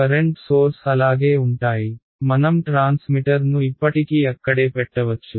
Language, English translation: Telugu, The current sources will remain the same; I may have kept my transmitter still standing out there right